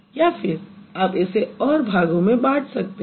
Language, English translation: Hindi, Let's see whether we can break it into two different parts